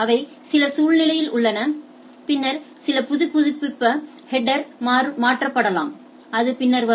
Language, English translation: Tamil, And they are in some situation it can change the some update the header that will come later right